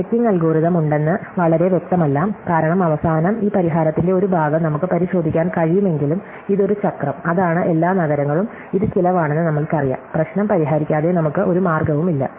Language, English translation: Malayalam, So, it is not very clear that there is checking algorithm, because in the end, though we can verify part of the solution, that it is a cycle, that is this all the cities and we know it is cost, we have no way without solving the problem